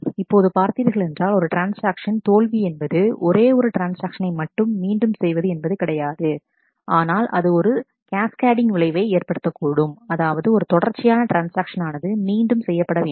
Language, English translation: Tamil, Now let us also observe that a single transaction failure not only means that one transaction needs to be rolled back, but it could have a cascading effect, that is a series of transaction may require a rollback